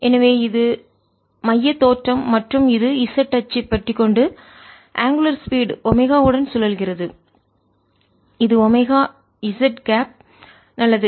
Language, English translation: Tamil, and it is rotating about the z axis with angular speed omega, which is omega z cap